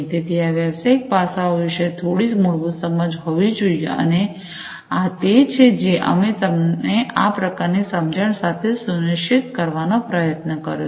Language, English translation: Gujarati, So, there has to be some basic understanding about these business aspects, and this is what we have tried to ensure imparting you with this kind of knowledge